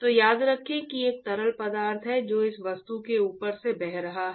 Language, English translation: Hindi, So, remember that there is fluid which is flowing past this object